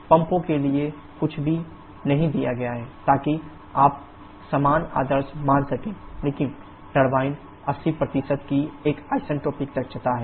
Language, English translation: Hindi, Nothing is given for the pumps so you can assume to identical ideal but turbine is an isentropic efficiency of 80%